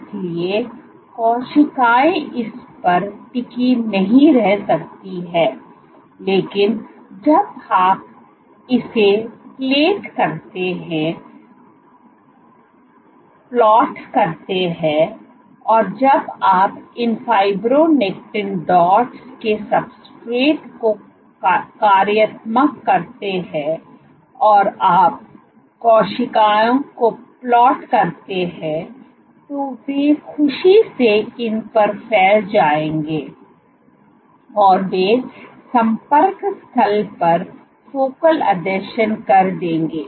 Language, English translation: Hindi, So, cells cannot stick on this, but when you plate it when you functionalize the substrate to these fibronectin dots and you plate cells, they would happily spread on these and they will make focal adhesions at the site of contact